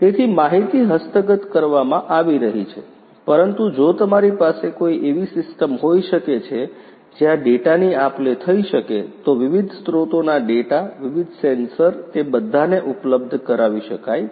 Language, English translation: Gujarati, So, data is being acquired, but you know if you can have a system where the data can be exchanged you know, so the data from the different sources the different sensors they all can be made available